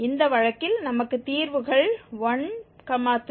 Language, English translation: Tamil, In this case also our roots are 1, 3, and minus 98